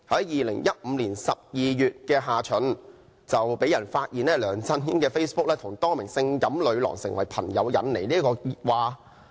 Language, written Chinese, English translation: Cantonese, 2015年12月下旬，有人發現梁振英的 Facebook 帳戶與多名性感女郎結成朋友，引起熱話。, In the second half of December 2015 the revelation that LEUNG Chun - yings Facebook account had befriended a number of sexy women became the talk of the town